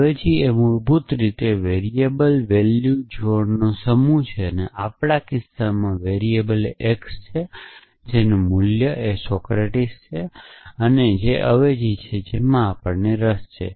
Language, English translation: Gujarati, A substitution is basically a set of variable value pairs and in our case, the variable is x and the value that is Socratic that is the substitution we are interested in